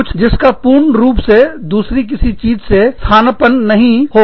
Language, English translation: Hindi, Something, that cannot be completely substituted, by something else